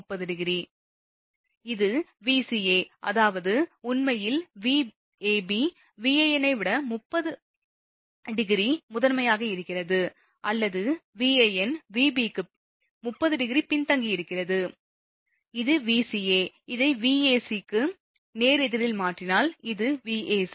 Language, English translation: Tamil, Now, it is Vca; that means, your Vab actually leading Van 30 degree or Van is your what you call lagging for Vab by 30 degree and, this is Vca if you change this one just opposite it is Vca, then it will be your Vac right